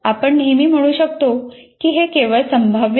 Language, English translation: Marathi, So you can always say it is only probabilistic